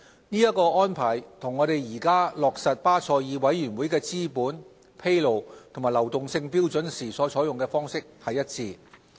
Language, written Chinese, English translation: Cantonese, 這個安排與我們現時落實巴塞爾委員會的資本、披露和流動性標準時所採用的方式一致。, Such approach is in line with that adopted in the past for implementing the BCBS capital disclosure and liquidity standards